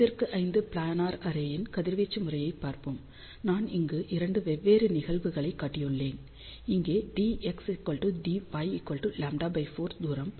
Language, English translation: Tamil, So, let us see the radiation pattern of 5 by 5 planar array, I have shown here 2 different cases of the distances d x is equal to d y equal to lambda by 4 over here